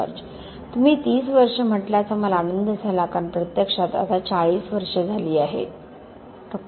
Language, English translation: Marathi, I am pleased that you said 30 years because it is actually nearly 40 years now Ok